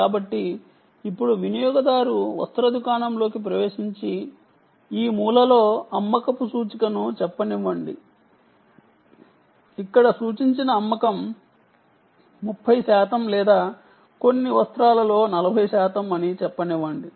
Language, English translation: Telugu, so now the user enters the garment shop and out in this corner there is a, let us say, a sale indicator, a sale indicated here which is, lets say, thirty percent or forty percent of some garment